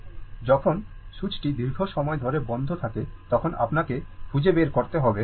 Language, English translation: Bengali, So, when switch is closed for long time, so, that we have to find out